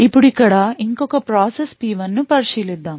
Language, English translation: Telugu, Now consider another process over here process P1